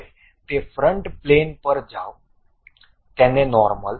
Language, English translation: Gujarati, Now, go to front plane normal to that